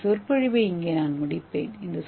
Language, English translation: Tamil, So I will end my lecture here